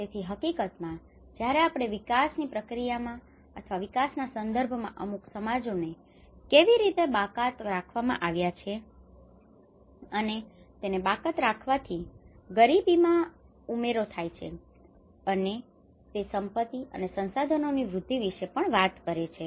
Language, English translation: Gujarati, So in fact, when we talk about how certain societies have been excluded in the development process or in the dialogue of the development you know these all things are actually the risk processes and poverty adds much more of the excluded aspect of it, and they also talks about the access to these assets and the resources